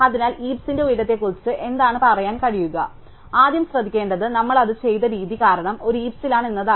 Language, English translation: Malayalam, So, what can say about the height of the heap, so the first thing to notice is that in a heap because of the way that we are done it